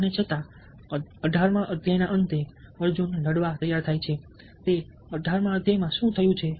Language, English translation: Gujarati, and he, at the end of the eighteenth chapter, arjuna, is ready to fight